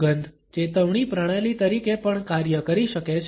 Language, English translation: Gujarati, A smell can also act as a system of warning